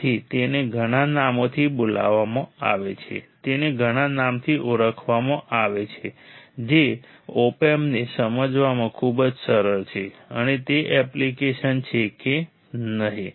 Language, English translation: Gujarati, So, it is called by many names, it is called by many names very easy to understand op amps and it is application is it not